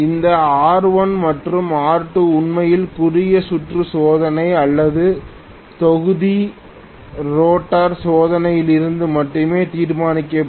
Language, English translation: Tamil, This R1 and R2 will be actually determined only from the short circuit test or block rotor test